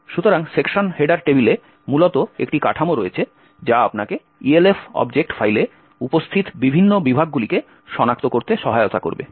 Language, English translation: Bengali, So, in the section header table, essentially there is a structure which would help you locate the various sections present in the Elf object file